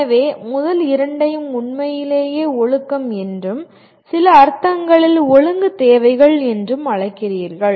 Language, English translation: Tamil, So the first two are truly what you call disciplinary in some sense disciplinary requirements